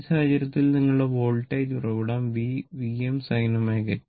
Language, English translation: Malayalam, And in this case, your voltage source V is equal to V m sin omega t